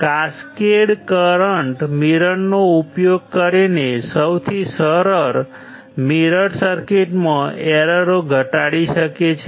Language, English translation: Gujarati, The errors in the simplest current mirror circuits can be reduced by using, cascaded current mirrors